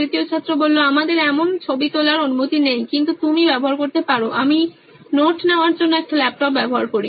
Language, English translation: Bengali, We are not allowed to take photographs as such but you can use, I use a laptop to take notes